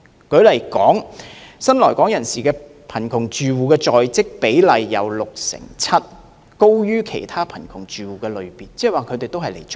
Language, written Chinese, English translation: Cantonese, 舉例而言，新來港人士的貧窮住戶在職比例為六成七，高於其他貧窮住戶的類別。, For instance the rate of new - arrival poor households in employment was 67 % and it was higher than that of poor households in other categories